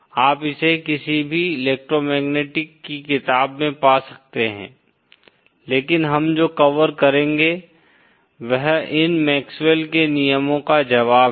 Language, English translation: Hindi, You can find it in any electromagnetic textbook but what we will cover is the solutions of these MaxwellÕs laws